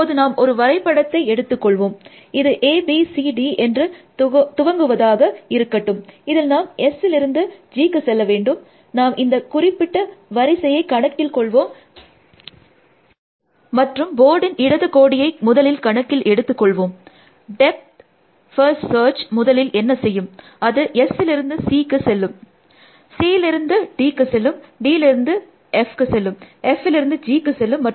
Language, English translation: Tamil, Let us take a graph start A, B, C, D, let say we take a graph like this, you have to go from S to G, what will and let us assumed that, the particular order and we choose the left most on the board first, what will depth first search to, it will go from S to C, C to D, D to F, F to G